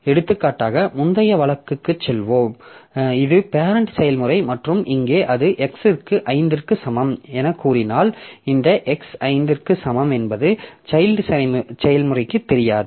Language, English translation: Tamil, For example, taking, going back to the previous case like if I say that if this is the parent process and here it assigns x equal to 5 then this x equal to 5 will not be visible to the child process